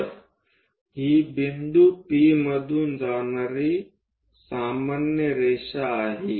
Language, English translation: Marathi, So, this is a normal passing through point P